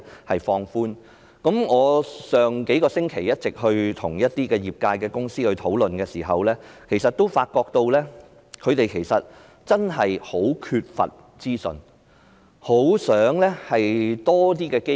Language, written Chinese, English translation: Cantonese, 我在數個星期前與業界公司討論時，發覺他們真的很缺乏資訊，他們很想有更多的機會。, Upon discussions with the industry a few weeks ago I found that the industry lacks information and is longing for more opportunities